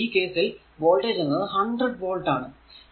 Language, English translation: Malayalam, So, so, in this case a voltage is given your 100, 100 volt that is 100 volt